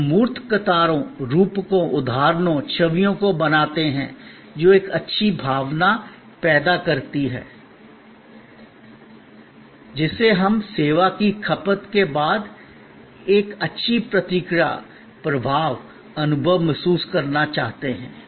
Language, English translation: Hindi, We create tangible queues, metaphors, examples, images, which create a lingering good feeling, which we want to feel to create a feel good reaction, impression, experience, after consumption of service